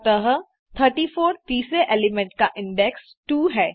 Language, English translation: Hindi, So, 34, the third element have the index 2